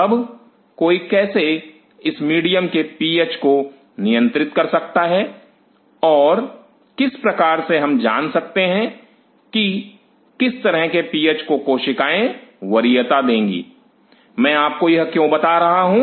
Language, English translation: Hindi, Now how one can handle the PH of this medium and how do we know what kind of PHB cells will prefer why I am telling you this